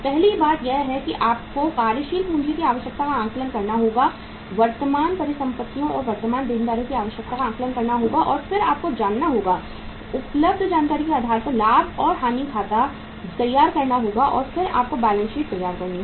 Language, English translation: Hindi, First thing you have to do is you have to assess the working capital requirement by assessing the requirement of current assets and current liabilities and then you have to go to prepare the profit and loss account on the basis of the information available and then you have to prepare the balance sheet